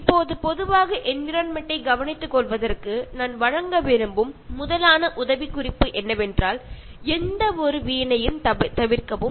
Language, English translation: Tamil, Now in general on the top for caring for the environment, the tip I would like to give is that, avoid any wastage